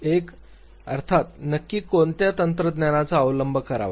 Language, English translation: Marathi, One is of course, in terms of which technique to adopt